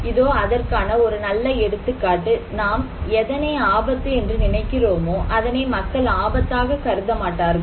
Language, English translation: Tamil, Here is a good example; what do you think as risky, people may not think is risky